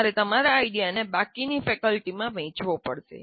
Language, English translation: Gujarati, So you have to sell your idea to the rest of the faculty